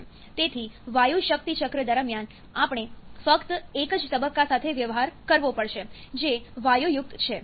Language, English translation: Gujarati, So during gas power cycle, we have to deal with only a single phase which is a gaseous one